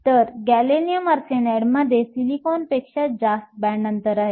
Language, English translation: Marathi, So, gallium arsenide has a higher band gap than silicon